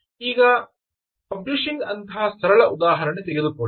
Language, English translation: Kannada, now take a simple case of publishing